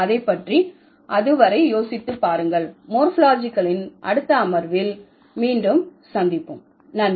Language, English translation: Tamil, So, think about it and then we will meet again in the next session of morphology